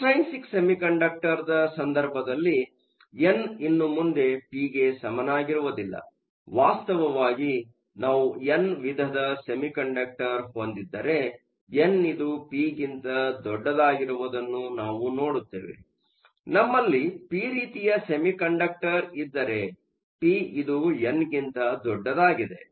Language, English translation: Kannada, In the case of an extrinsic semiconductor, n is no longer equal to p; in fact, if we have an n type semiconductor, we see that n is much larger than p; if we have a p type semiconductor, p is much larger than n